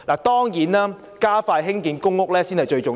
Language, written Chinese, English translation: Cantonese, 當然，加快興建公屋才最重要。, Of course speeding up the building of PRH is most important